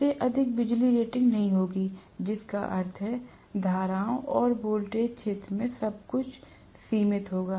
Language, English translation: Hindi, It will not have a power rating more than that, which means the currents and the voltages; everything will be somewhat limited in the field